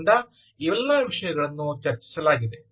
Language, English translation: Kannada, so all of that was discussed, ah